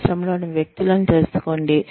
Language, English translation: Telugu, Know the industry